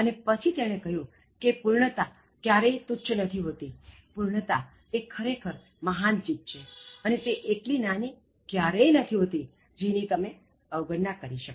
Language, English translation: Gujarati, And then, he says perfection is no trifle, so perfection is a really great thing and that is not a very small thing that you can ignore